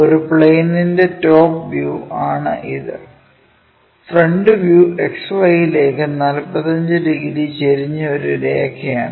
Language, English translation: Malayalam, This figure is top view of some plane whose front view is a line 45 degrees inclined to xy